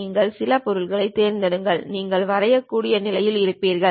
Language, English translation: Tamil, You pick some object; you will be in a position to draw